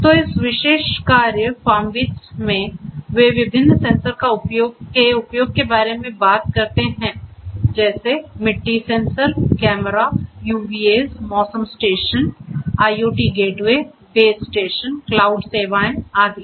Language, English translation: Hindi, So, in this particular work FarmBeats they talk about the use of different sensors such as; the soil sensors, cameras, UVAs weather stations, IoT gateways, base station, cloud services etcetera